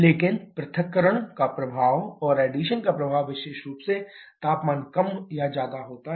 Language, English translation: Hindi, But the effect of dissociation and effect of addition is specifically temperature is more or less the same